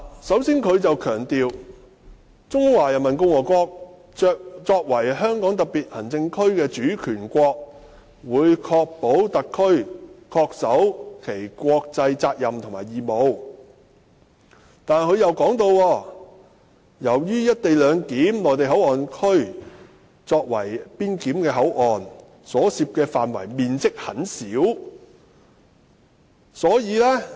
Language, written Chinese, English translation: Cantonese, 首先，政府強調"中華人民共和國作為香港特區的主權國，會確保特區政府恪守其國際責任和義務"，但又表示，由於'內地口岸區'作為邊檢口岸......所涉範圍面積很小......, First of all the Government stressed that As the sovereign state of the HKSAR the Peoples Republic of China would ensure that the HKSAR Government performs its international duties and obligations but then it went on to say that MPA as a clearance port and the area involved is minimal